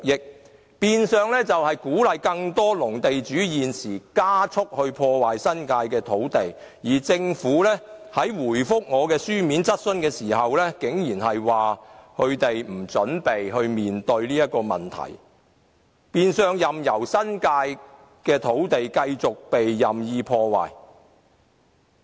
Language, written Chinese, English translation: Cantonese, 這變相鼓勵更多農地地主現時加速破壞新界土地，而政府回答我的書面質詢時，竟然表示他們不準備面對這個問題，任由新界土地繼續被任意破壞。, This in a way has encouraged more agricultural land owners to spend up destroying their farmland in the New Territories . In its reply to my written question the Government says that they are not planning to deal with this problem and will remain uninvolved in stopping the destruction of farmland in the New Territories